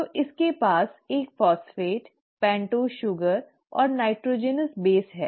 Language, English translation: Hindi, So it has a phosphate, a pentose sugar and the nitrogenous base